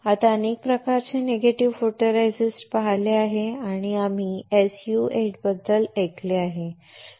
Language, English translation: Marathi, Now, there are several kinds of negative photoresist and we have heard about SU 8